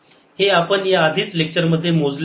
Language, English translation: Marathi, this we had already calculated in the lecture